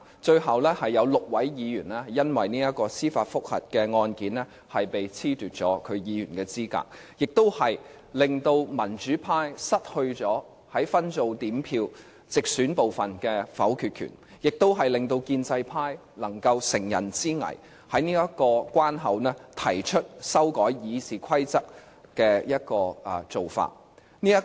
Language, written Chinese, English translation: Cantonese, 最後，有6位議員因為司法覆核案件而被褫奪議員資格，令民主派失去了分組點票直選部分的否決權，亦令建制派能夠乘人之危，在這個關口提出修改《議事規則》。, Finally six Members were disqualified in the judicial review . Following the DQ incident the democratic camp loses its veto power in the direct election group under the separate voting system making it possible for the pre - establishment camp to exploit the situation and propose RoP amendments at this juncture